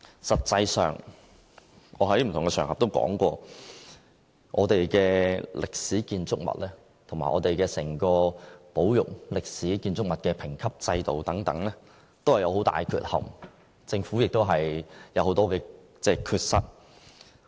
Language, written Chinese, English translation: Cantonese, 實際上，我在不同場合均曾表示，我們的歷史建築物和整個保育歷史建築物的評級制度，均存在很大的缺憾，政府也有很多缺失。, Actually I have said in various occasions that the current grading system for historic buildings and for the overall conservation of historic buildings is full of deficiencies . The Governments conservation work also has many shortcomings